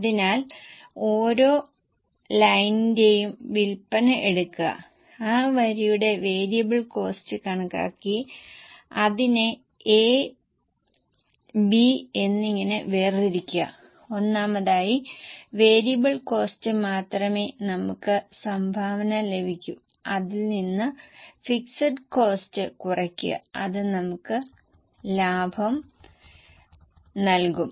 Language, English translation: Malayalam, So, take sales of each line, calculate the variable cost for that line and separated into A and B, first of all only variable variable cost you will get contribution